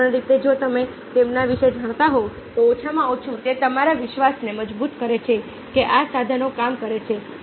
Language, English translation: Gujarati, if you knew about them, then at least re enforces your conviction that these tools work